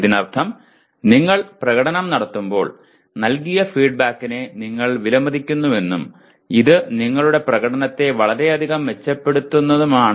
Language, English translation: Malayalam, That means you value the feedback that is given to you when you are performing and that will greatly improve your performance